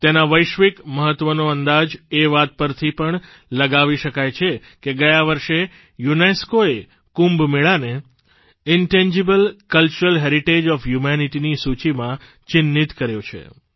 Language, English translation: Gujarati, It is a measure of its global importance that last year UNESCO has marked Kumbh Mela in the list of Intangible Cultural Heritage of Humanity